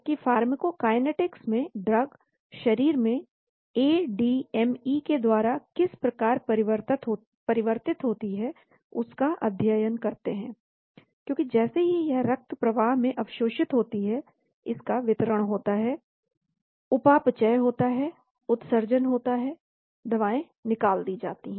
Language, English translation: Hindi, Whereas pharmacokinetics is the study the way in which drugs move through the body during ADME, because as soon as it get absorbed into the bloodstream, there is a distribution, metabolism, excretion, drugs get eliminated